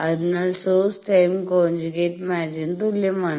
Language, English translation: Malayalam, So, the source is equal to the time conjugate match